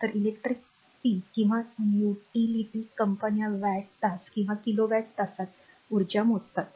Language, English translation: Marathi, So, the electric power utility companies measure energy in watt hour or kilo watt hour right